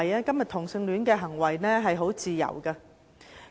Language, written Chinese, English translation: Cantonese, 今天，同性戀行為是自由的。, Nowadays people are free to engage in homosexual conduct